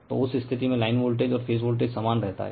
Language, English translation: Hindi, So, in that case your line voltage and phase voltage remains same right